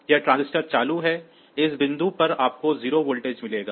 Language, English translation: Hindi, So, this transistor is on as a result at this point you will get the voltage of 0